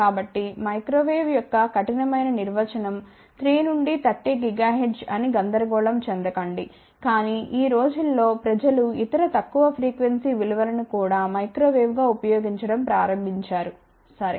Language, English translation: Telugu, So, do not get confused strict definition of microwave is 3 to 30 gigahertz, but nowadays loosely people have started using even the other lower frequency values also as microwave ok